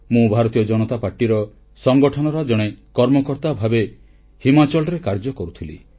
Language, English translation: Odia, I was then a party worker with the Bharatiya Janata Party organization in Himachal